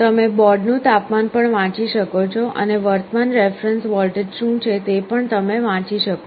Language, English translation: Gujarati, You can read the temperature of the board also and also you can read, what is the current reference voltage